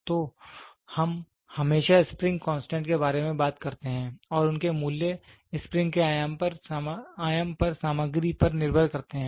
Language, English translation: Hindi, So, we always talk about the spring constant and their values depend on the material on the dimension of the spring